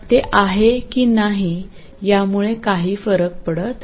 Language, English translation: Marathi, It doesn't matter if it is or if it is not